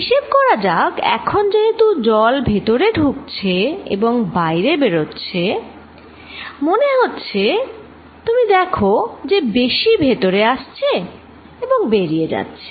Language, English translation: Bengali, Let us calculate, because now water coming in and water going out it looks like, you know this is more coming in and going out